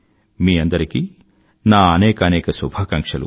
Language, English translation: Telugu, My best wishes to you all